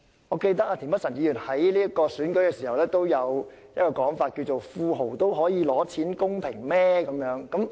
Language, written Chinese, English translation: Cantonese, 我記得田北辰議員在選舉時亦有一種說法，就是若富豪也可以領取金錢資助，是否公平？, I remember that during the election Mr Michael TIEN also made the following remark Is it fair if tycoons can also collect financial subsidies?